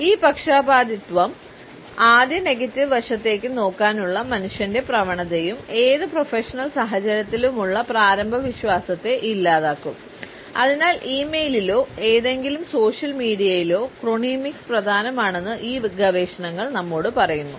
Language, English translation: Malayalam, And these biases and the human tendency to look at the negative side, first, can erode the initial trust in any professional situation and therefore, these researchers tell us that chronemics in e mail or in any social media is important